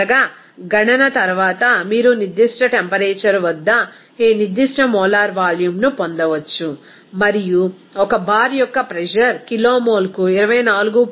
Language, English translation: Telugu, Finally, after calculation, you can get this specific molar volume at a particular temperature and the pressure of 1 bar is equal to 24